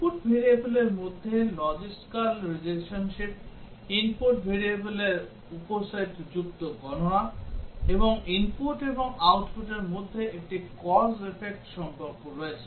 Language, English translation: Bengali, Logical relationship between input variables, calculation involving subset of the input variables, and there is a cause effect relationship between input and output